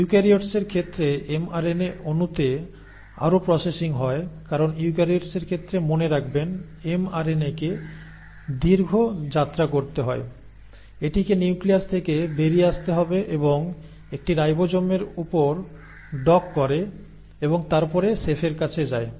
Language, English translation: Bengali, And in case of eukaryotes the mRNA molecule then undergoes further processing because remember in case of eukaryotes, the mRNA has to travel a long journey, it has to come out of the nucleus and then dock on to a ribosome and then approach the chef